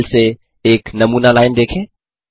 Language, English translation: Hindi, Consider a sample line from this file